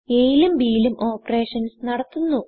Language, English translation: Malayalam, We will perform operations on a and b